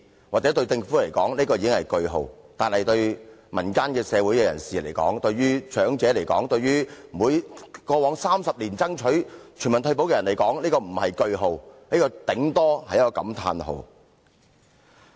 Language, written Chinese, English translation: Cantonese, 或許對政府來說，這已是句號，但對民間社會人士、長者及過往30年來爭取全民退保的人來說，這並非句號，頂多只是感歎號。, The Government may see it as a full stop but to members of the community the elderly and those who have been fighting for universal retirement protection over the past 30 years instead of a full stop it is an exclamation mark at most